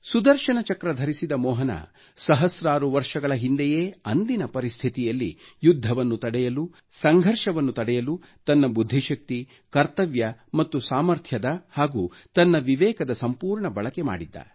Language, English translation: Kannada, Sudarshan Chakra bearing Mohan, thousands of years ago, had amply used his wisdom, his sense of duty, his might, his worldview to avert war, to prevent conflict, a sign of the times then